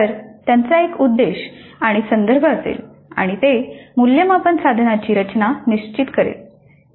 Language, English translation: Marathi, So, they have a purpose and a context and that will determine the structure of the assessment instrument